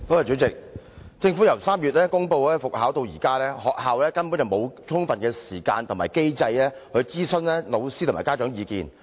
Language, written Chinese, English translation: Cantonese, 主席，政府由3月公布復考至今，學校根本沒有充分時間和機制諮詢老師和家長的意見。, President there has been neither sufficient time nor mechanism in place for schools to consult teachers and parents of their students since the Governments announcement of the resumption of TSA in March